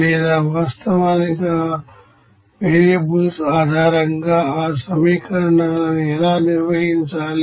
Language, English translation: Telugu, Or how to actually manage those equations based on that variables